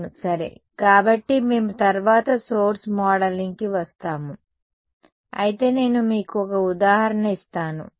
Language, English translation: Telugu, Yeah ok; so, we will come to source modeling later, but let me just give you an example